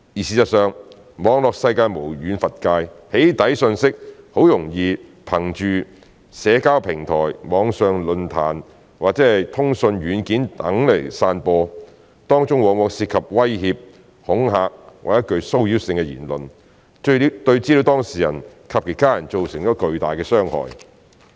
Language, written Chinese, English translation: Cantonese, 事實上，網絡世界無遠弗屆，"起底"訊息很容易憑藉社交平台、網上論壇或通訊軟件等散播，當中往往涉及威脅、恐嚇或具騷擾性的言論，對資料當事人及其家人造成巨大的傷害。, In fact the cyber world is so vast that doxxing messages can easily be spread through social media platforms online forums or communication software and so on . These messages often involve threats intimidation or harassing comments which can cause great harm to the data subject and hisher family